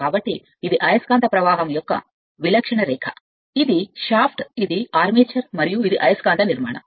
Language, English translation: Telugu, So, this is the typical line of magnetic flux, this is a shaft, this is the armature and this is a magnetic structure